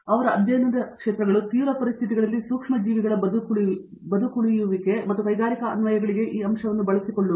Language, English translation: Kannada, His areas of research include survival of microbes under extreme conditions and exploiting this aspect for industrial applications